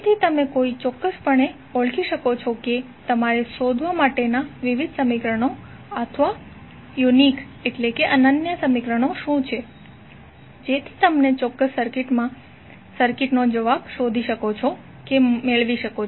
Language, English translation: Gujarati, So that you can precisely identify what are the various equations or unique equation you have to find out so that you can find out you can get the answer of that particular circuit